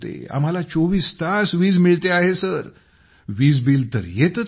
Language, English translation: Marathi, We are getting electricity for 24 hours a day…, there is no bill at all